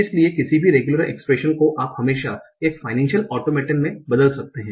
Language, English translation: Hindi, So any regular expression you can always convert into a automated, the final state automator